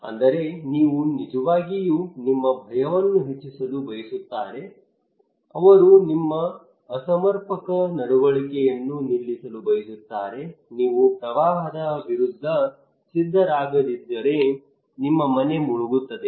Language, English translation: Kannada, That is they are actually want to increase your fear they want to stop your maladaptive behaviour if you do not prepare against flood then your house will be inundated